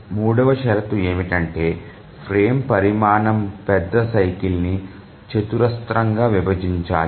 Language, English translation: Telugu, The third condition is that the frame size must squarely divide the major cycle